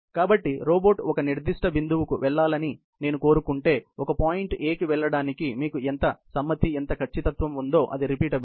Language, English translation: Telugu, So, if I want the robot to go to the certain point A how much accuracy has how much you know a compliance it does to going to a point A, is what the repeatability would be